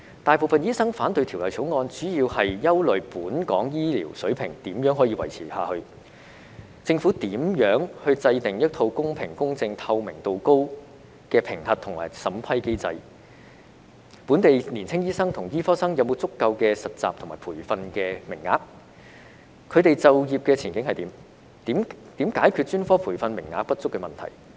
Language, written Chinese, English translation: Cantonese, 大部分醫生反對《條例草案》，主要是憂慮本港的醫療水平如何維持下去；政府如何制訂一套公平、公正及透明度高的評核和審批機制；本地年青醫生和醫科生有否足夠的實習和培訓名額，他們的就業前景為何；及如何解決專科培訓名額不足問題。, Most doctors oppose the Bill mainly because they are worried about how the healthcare standard in Hong Kong can be maintained; how the Government can formulate a fair impartial and highly transparent assessment and approval mechanism; whether there are enough internship and training places for local young doctors and medical students and what their career prospects are; and how the problem of insufficient specialist training places can be solved